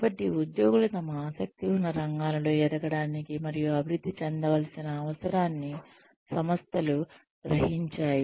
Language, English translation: Telugu, So, the organizations realize the need for employees, to grow and develop, in their own areas of interest